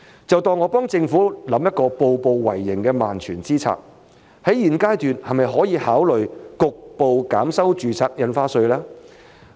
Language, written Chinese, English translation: Cantonese, 就當我幫政府想一個步步為營的萬全之策，在現階段是否可以考慮局部減收住宅印花稅？, Let us presume that I am helping the Government to devise a prudent and sure - fire solution . At this stage can it consider a partial reduction of the stamp duty on residential properties?